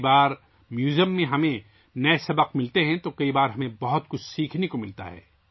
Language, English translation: Urdu, Sometimes we get new lessons in museums… sometimes we get to learn a lot